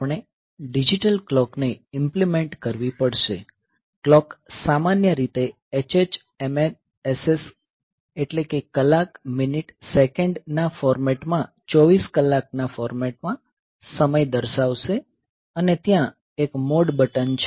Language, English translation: Gujarati, So, we have to implement a digital clock; the clock will normally display the time in 24 hour format in hh mm ss hour minute second format and there is a mode button